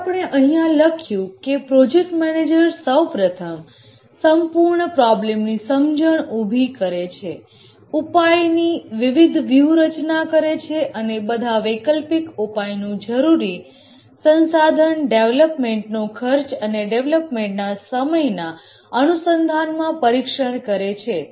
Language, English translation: Gujarati, That's what we have just written down here that the project manager first develops an overall understanding of the problem, formulates the different solution strategies, and examines the alternate solutions in terms of the resource required cost of development and development time, and forms a cost benefit analysis